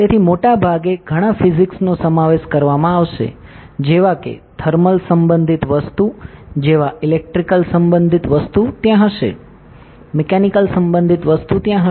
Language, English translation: Gujarati, So, most of the most of the time it will involved multiple physics like thermal related stuff will be there, electrical related stuff will be there, mechanical related stuff will be there